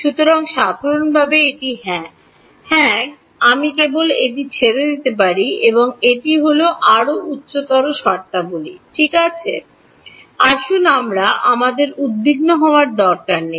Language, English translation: Bengali, So, in general it is I mean yeah I can just leave it this is the plus higher order terms ok, let us we need not worry about